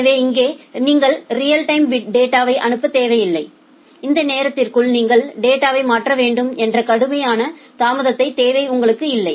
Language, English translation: Tamil, So, here you do not need to send the data in real time you do not have a such strict delay requirement that by within this time you have to transfer the data